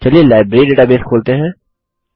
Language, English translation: Hindi, Lets open the Library database